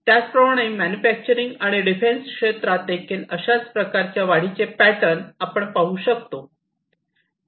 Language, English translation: Marathi, And likewise for manufacturing also we see, defense also we can see a similar kind of growth pattern and so on